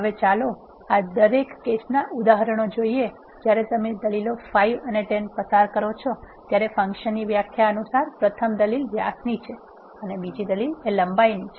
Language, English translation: Gujarati, Now, let us see the examples for each of these cases when you pass the arguments 5 and 10 the first argument is diameter and second argument is length according to the definition of the function